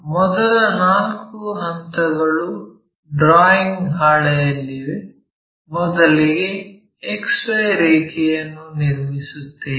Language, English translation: Kannada, The first three step, four steps are on the drawing sheet; first draw a XY line